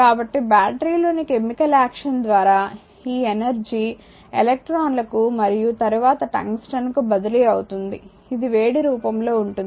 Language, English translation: Telugu, So, thus energy is transferred by the chemical action in the battery to the electrons right and then to the tungsten where it appears as heat